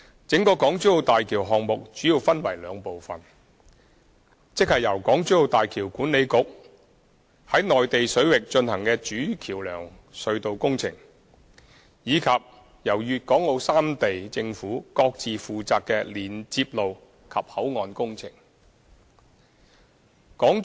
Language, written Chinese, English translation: Cantonese, 整個大橋項目主要分為兩部分：即由港珠澳大橋管理局在內地水域進行的主橋橋樑隧道工程，以及由粤港澳三地政府各自負責的連接路及口岸工程。, The entire HZMB project consists of two parts HZMB Main Bridge built in Mainland waters by HZMB Authority and the link roads and boundary crossing facilities under the respective responsibility of the three governments